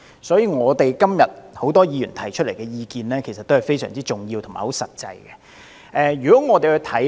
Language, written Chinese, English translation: Cantonese, 所以，很多議員今天提出來的意見是非常重要和實際的。, Therefore the suggestions made by many Members today are very important and practical